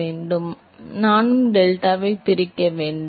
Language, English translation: Tamil, Sir I also have to divide that delta